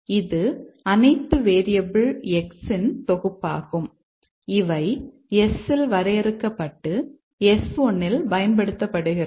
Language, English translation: Tamil, It is the set of all variables X which is defined at S and used at S 1